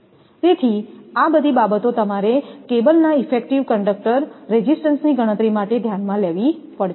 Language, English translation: Gujarati, So, all these things you have to consider for calculating the effective conductor resistance of cables